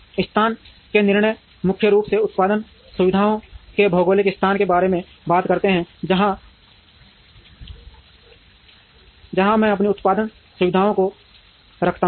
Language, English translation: Hindi, Location decisions primarily talk about the geographic placement of production facilities, where do I place my production facilities